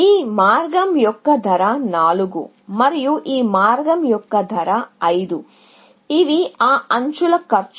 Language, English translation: Telugu, The cost of this path is 4, and the cost of this path is 5, so the cost of that edges